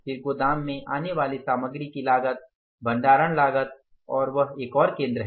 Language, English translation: Hindi, Material coming to the warehouse again it has the cost storage cost and that is a one more center